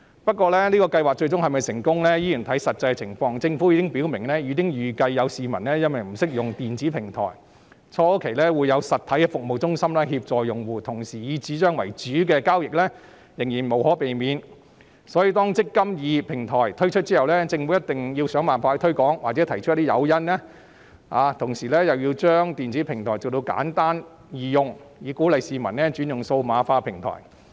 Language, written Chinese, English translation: Cantonese, 不過，計劃最終是否成功，依然要視乎實際情況，政府表明已預計有市民不懂得使用電子平台，初期會有實體的服務中心協助用戶，同時以紙張為主的交易仍然無可避免，所以當"積金易"平台推出後，政府一定要想辦法推廣或提供誘因，並且把電子平台設計得簡單易用，以鼓勵市民轉用數碼化平台。, The Government has made it clear that some members of the public may not know how to use the electronic platform . Therefore at the initial stage physical service centres will be set up to provide assistance to the platform users while paper - based transactions will inevitably continue . Upon the launch of the eMPF Platform the authorities should hence do its best to promote the platform or provide incentives for users to use it